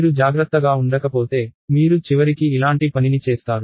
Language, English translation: Telugu, So, if you are not careful you may end up doing something like this